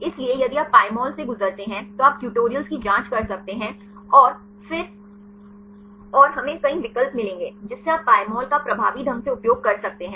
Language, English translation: Hindi, So, if you go through the Pymol right you can check the tutorials and we will get several options you can utilize Pymol effectively